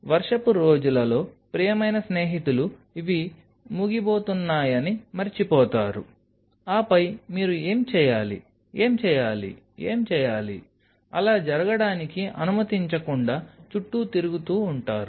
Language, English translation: Telugu, For the rainy days because dear friends will forget that these are about to end and then you are hovering running around, what to do, what to do, what to do, not allow that to happen